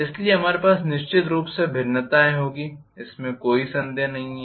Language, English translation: Hindi, So, we will have the definitely variations no doubt